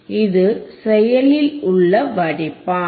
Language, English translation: Tamil, This is the active filter